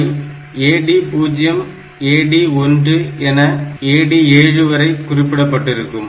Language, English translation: Tamil, So, this is AD 0 ,AD 1 up to AD 7